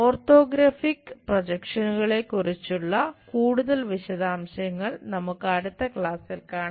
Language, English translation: Malayalam, Many more details about this orthographic projections we will see it in the next class